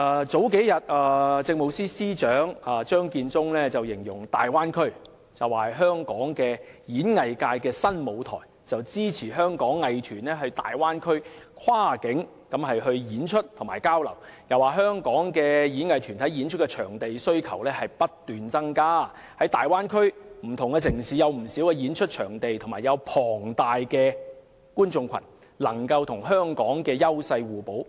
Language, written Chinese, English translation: Cantonese, 數天前，政務司司長張建宗形容粵港澳大灣區是香港演藝界的新舞台，支持香港藝團前往大灣區跨境演出及交流，又說道香港的演藝團體對演出場地的需求不斷增加，而大灣區的不同城市有不少演出場地及龐大的觀眾群，能夠與香港優勢互補。, A few days ago Chief Secretary for Administration Matthew CHEUNG described the Guangdong - Hong Kong - Macao Bay Area as a new stage for Hong Kongs entertainment industry . He expressed support for Hong Kongs performing arts groups in conducting performances and exchanges in the Bay Area across the border while adding that as the demand of Hong Kongs performing arts groups for performance venues kept increasing various Bay Area cities could achieve complementarity with Hong Kong as they could provide many performance venues and a large audience